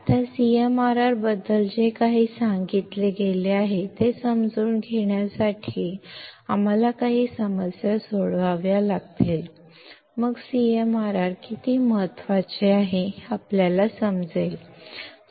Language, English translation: Marathi, Now, to understand whatever that has been told about CMRR; we have to solve some problems, then we will understand how CMRR important is